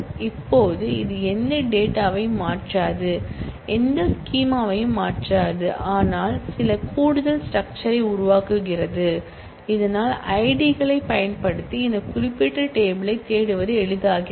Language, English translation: Tamil, Now, this does not change any data neither does it change any schema, but it creates certain additional structure so that it becomes easier to search this particular table using IDs